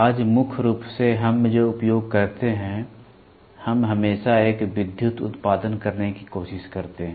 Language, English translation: Hindi, Today, predominantly what we use, we always try to have an electrical output